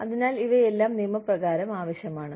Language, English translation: Malayalam, So, all of these things are required by law